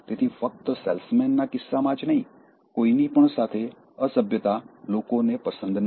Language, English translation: Gujarati, So that, not only in case of salesman, with anybody, rudeness, people don’t like